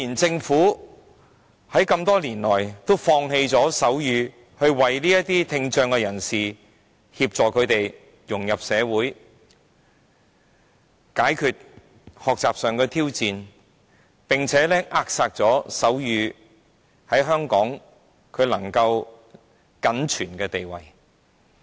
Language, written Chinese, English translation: Cantonese, 政府多年來放棄了推動手語，沒有協助聽障人士融入社會、紓解學習上的挑戰，更扼殺了手語在香港僅存的地位。, In the past years the Government has abandoned the promotion of sign language done nothing to assist people with hearing impairment to integrate into society and to alleviate their learning difficulties and suppressed the status of sign language if any in Hong Kong